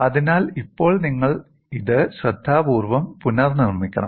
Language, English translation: Malayalam, So, now, you have to recast this carefully